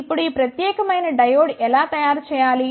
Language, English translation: Telugu, Now, how to make this particular diode